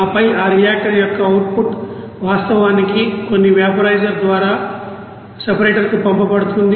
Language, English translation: Telugu, And then the output of that reactor is actually send to the separator through some vaporizer